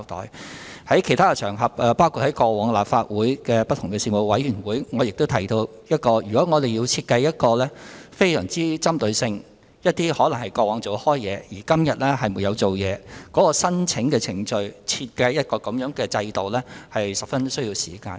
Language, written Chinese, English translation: Cantonese, 我曾在其他場合，包括過往在立法會的不同事務委員會上提到，如果要設計一些非常具針對性的措施，例如針對過往有工作而現在沒有工作的人士申請援助的程序，需時甚久。, As I mentioned on other occasions including at meetings of different Panels of the Legislative Council if we are to design some highly targeted measures such as devising procedures for people who were employed in the past but are currently unemployed to apply for assistance it will take us a long time